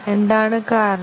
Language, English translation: Malayalam, What is the reason